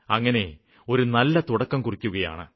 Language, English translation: Malayalam, This is a good beginning